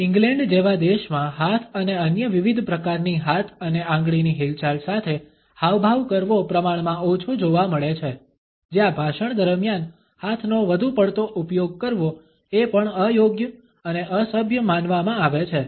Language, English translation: Gujarati, Gesticulating with hands and other different types of hand and finger movements are relatively less seen in a country like England, where using ones hands too much during the speech is still considered to be inappropriate and rude